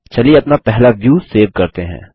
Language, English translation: Hindi, Let us save our first view